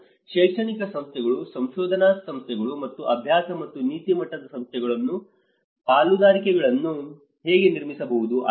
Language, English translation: Kannada, How we can build partnerships with an academic institutions, research institutions, and the practice and policy level institutions